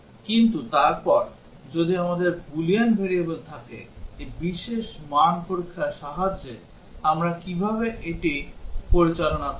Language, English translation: Bengali, But then what if we have Boolean variables, how do we handle it using this special value testing